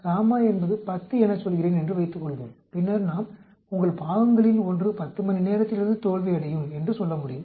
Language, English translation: Tamil, Suppose I say if gamma is 10 then we can say your one of the parts will fail it will start failing from the 10th hour